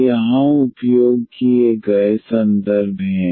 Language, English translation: Hindi, These are the references used here